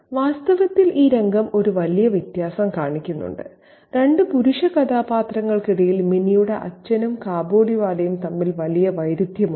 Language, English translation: Malayalam, There is a huge contrast between the two male characters between the father of Minnie and the Kabaliwala